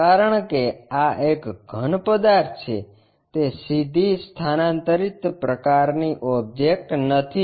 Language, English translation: Gujarati, Because, this is solid object it is not ah directly a transferring kind of object